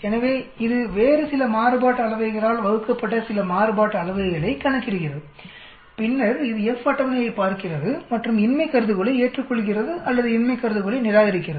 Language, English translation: Tamil, So it also calculates some variance divided by some other variance, and then it looks at the F table and either accepts the null hypothesis or rejects the null hypothesis